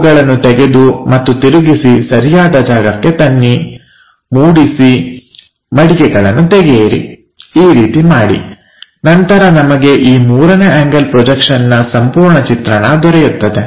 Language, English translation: Kannada, Flip that rotate these things at suitable locations, fold, unfolding kind of thing, then we will have this complete picture on three3rd angle projection